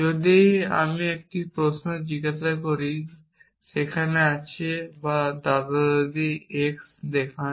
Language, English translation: Bengali, If I ask a query like is there or show grandparent x